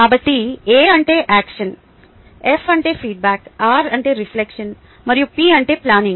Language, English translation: Telugu, so a stands for action, f stands for feedback, r stands for reflection and p stands for planning